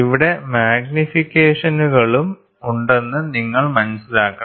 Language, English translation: Malayalam, So, here you should also understand there are magnifications also there